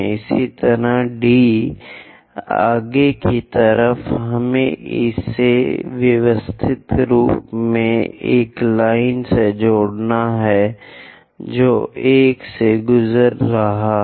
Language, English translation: Hindi, Similarly, D onwards, we have to systematically connect it a line which is passing through 1 prime going to intersect there